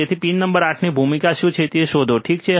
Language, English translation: Gujarati, So, find it out what is the role of pin number 8, alright